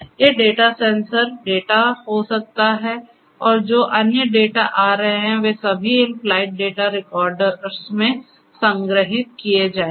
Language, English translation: Hindi, These data could be sensor data and different other data that are coming would be all stored in these flight data recorders